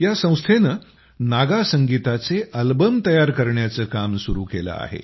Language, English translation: Marathi, This organization has started the work of launching Naga Music Albums